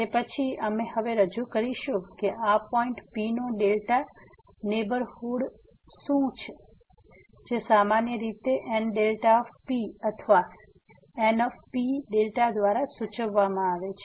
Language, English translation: Gujarati, Then, we will introduce now what is the delta neighborhood of this point P which is usually denoted by N delta P or N P delta